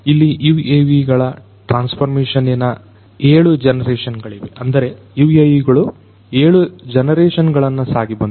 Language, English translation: Kannada, These are the 7 generations of the transformation of UAVs; that means, the UAVs have gone through 7 generations